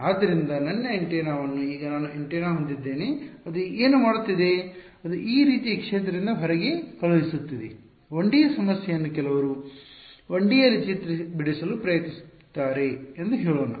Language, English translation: Kannada, So, I have my antenna over here now what it is doing it is sending out of field like this let us say 1D problem some trying to draw it in 1D